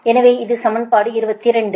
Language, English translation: Tamil, so this is equation twenty